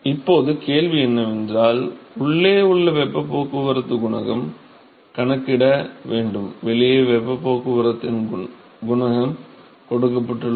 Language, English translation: Tamil, So, now, the question is to calculate the inside heat transport coefficient, outside heat transport coefficient is given